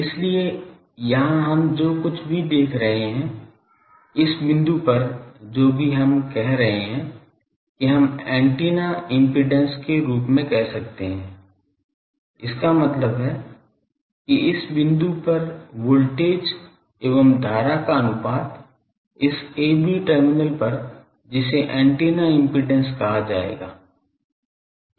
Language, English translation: Hindi, So, here whatever we are seeing the so, at this point whatever we are saying that, we can call as the antennas impedance that means, the voltage to current ratio at this point this a b terminal that will be called the antennas impedance